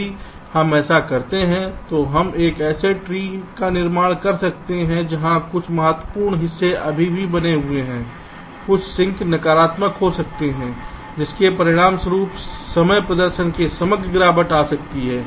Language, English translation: Hindi, if we do this, then we may be constructing a tree where some critical parts still remains, some slack may become negative, which may result in the overall degradation in the timing performance